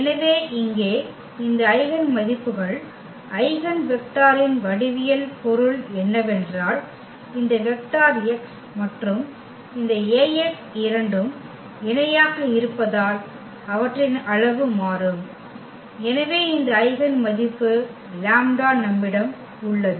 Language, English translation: Tamil, So, here also the geometrical meaning of this eigenvalues eigenvector in general is that of this vector this x and this Ax both are parallel and their magnitude will change and therefore, we have this eigenvalue lambda